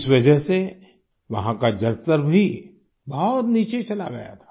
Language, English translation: Hindi, Because of that, the water level there had terribly gone down